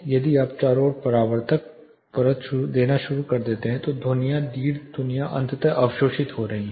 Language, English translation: Hindi, If you start introducing absorptive layer all around then these sounds the longer will reflections are eventually getting absorbed